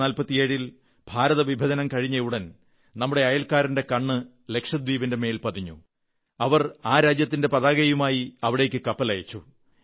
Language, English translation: Malayalam, Soon after Partition in 1947, our neighbour had cast an eye on Lakshadweep; a ship bearing their flag was sent there